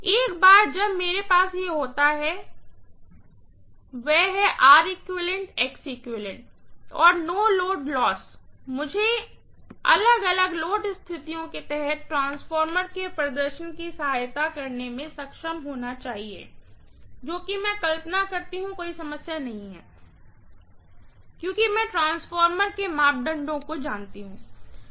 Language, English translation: Hindi, Once I have these, that is R equivalent, X equivalent and the no load losses, I should be able to assist the performance of the transformer under different load conditions whatever I imagine, not a problem, because I know the parameters of the transformer, right